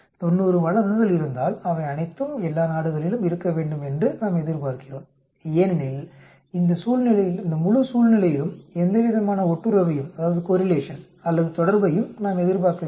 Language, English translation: Tamil, So if there are 90 cases, we expect that all of them should be there in all the countries because, we do not expect any sort of correlation or relationship in this entire situation